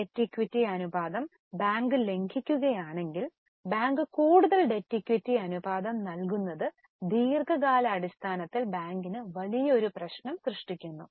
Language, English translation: Malayalam, If the debt equity ratio is violated by bank, banks start giving more debt equity ratio, it gives a problem to the bank in the long run